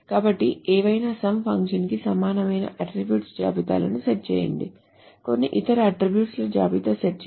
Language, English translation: Telugu, , so set attribute lists equal to some function of whatever, some other attribute list, so set A